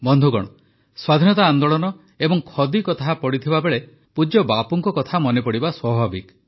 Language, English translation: Odia, Friends, when one refers to the freedom movement and Khadi, remembering revered Bapu is but natural